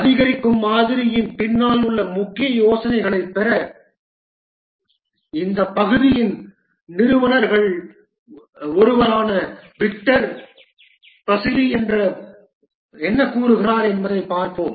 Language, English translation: Tamil, To get the main idea behind the incremental model, let's see what Victor Basilie, one of the founders of this area has to say